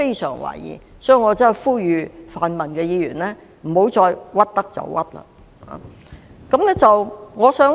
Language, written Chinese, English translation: Cantonese, 所以，我呼籲泛民議員不要再"屈得就屈"。, Hence I urge the pan - democratic Members to refrain from making false accusations